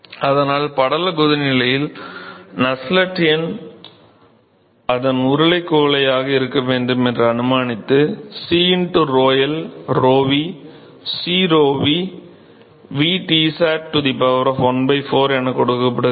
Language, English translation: Tamil, So, in the film boiling phase the Nusselt number, which is assuming that its aa cylindrical beaker that should be that is given by C into rhol rhov, C rhov, v Tsat the power of 1 by 4